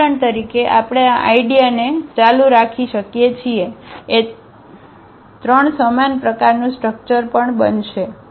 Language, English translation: Gujarati, We can continue this idea for example, A 3 also the same similar structure will happen